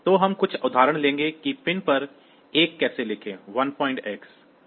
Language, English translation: Hindi, So, we will take some example like how to write a 1 to the pin say 1